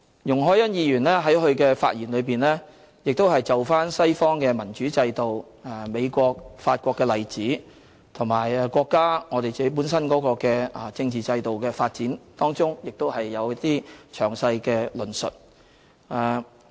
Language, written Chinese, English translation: Cantonese, 容海恩議員在發言中就西方民主制度、美國和法國的例子，以及國家和我們本身的政治制度發展有詳細的論述。, Ms YUNG Hoi - yan has made a detailed elaboration in her speech on western democracy the examples of the United States and France and the development of the countrys and our political system